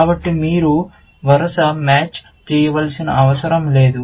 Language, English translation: Telugu, So, that you do not have to do a sequential match